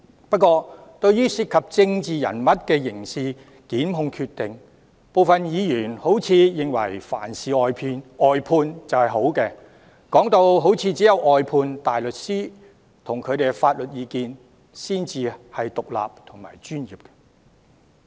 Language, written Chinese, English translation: Cantonese, 不過，對於涉及政治人物的刑事檢控決定，部分議員似乎認為凡事外判就等於好，唯有外判大律師和他們的法律意見才算是獨立和專業的。, However some Members seem to believe that briefing out is always better with regard to criminal prosecutorial decisions involving political figures . To these Members only outside barristers and their legal advice are independent and professional